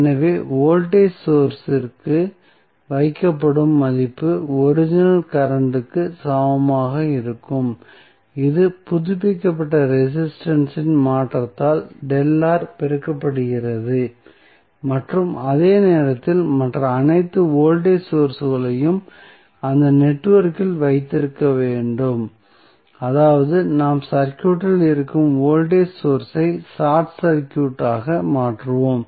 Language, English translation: Tamil, So, the value of placed to voltage source would be equal to the original current multiplied by the updated the change in resistance that is delta R and at the same time, we have to keep all the other voltage sources in the network of that means that we will short circuit the voltage source which are there in the circuit